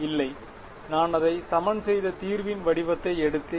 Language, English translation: Tamil, No right I took the form of the solution I equated it